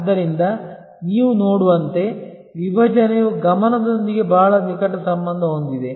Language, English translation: Kannada, So, as you see therefore, segmentation is very closely link with focus